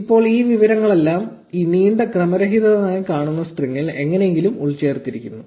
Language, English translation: Malayalam, Now all of this information is somehow embedded in this long random looking string